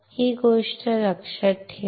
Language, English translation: Marathi, Remember this thing